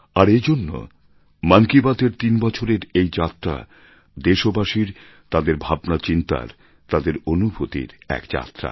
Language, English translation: Bengali, And, this is why the threeyear journey of Mann Ki Baat is in fact a journey of our countrymen, their emotions and their feelings